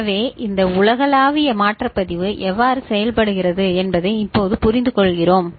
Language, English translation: Tamil, So, now we understand how this universal shift register works